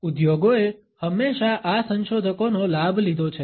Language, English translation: Gujarati, Industries have always taken advantage of these researchers